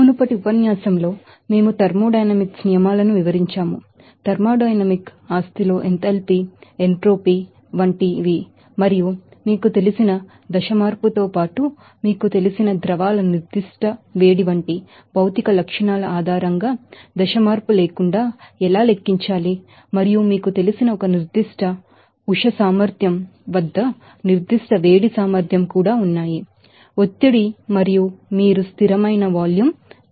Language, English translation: Telugu, In the previous lecture we have law described laws of thermodynamics, in thermodynamic property is like enthalpy entropy and how to calculate that enthalpy change based on you know phase change as well as without phase change based on the material characteristics like specific heat of fluids particular you know temperatures and also specific heat capacity at a particular you know, pressure and you know constant volume